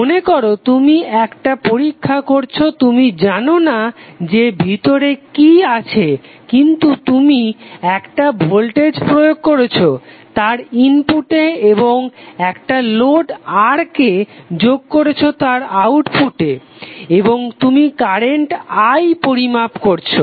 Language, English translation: Bengali, So suppose you are doing on a experiment way you do not know what is inside but you are applying one voltage source across its input terminals and connecting a load R across its output terminal and you are measuring current I